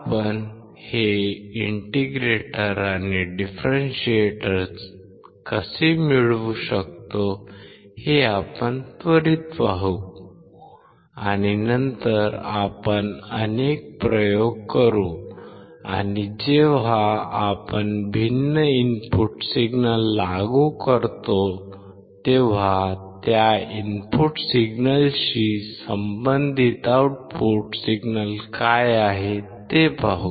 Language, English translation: Marathi, We will see quickly, how we can derive this integrator and differentiator, and then we will perform several experiments and see when we apply different input signals, what are the output signals corresponding to those input signals